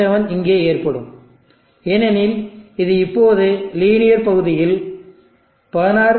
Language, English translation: Tamil, 7 will occur here, because this will now be in the linear region 16 – 0